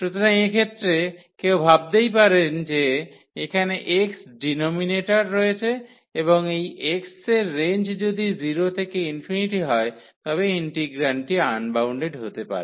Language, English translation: Bengali, So, in this case one might think that here the x is in the denominator and the range of this x is from 0 to infinity then the integrand may become unbounded